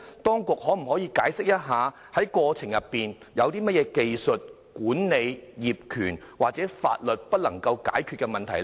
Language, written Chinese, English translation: Cantonese, 當局可否解釋在過程中有甚麼在技術、管理、業權或法律上不能解決的問題？, Can the authorities explain the technical problems or those in terms of management ownership and the law that could not be resolved in the process?